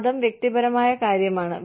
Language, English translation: Malayalam, Religion is a personal matter